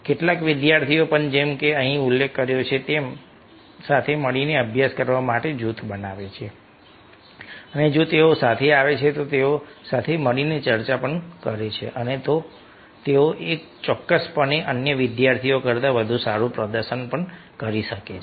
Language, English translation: Gujarati, some students also, as it is mentioned here, form a group to study together and if they are coming together ah they, they discuss together, then they definitely can perform better than other students